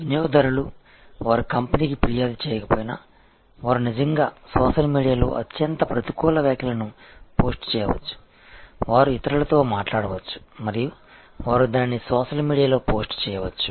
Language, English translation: Telugu, Because the customers, if they may not complaint to the company, but they may actually post highly negative comments on the social media, they may talk to others and they may post it on the social media